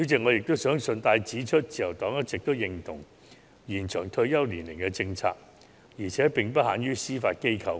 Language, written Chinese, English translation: Cantonese, 我想順帶指出，自由黨一直認同延長退休年齡的政策，而且並不限於司法機構。, I would also like to point out that the Liberal Party has always agreed that the policy of extending the retirement age should not limited to the Judiciary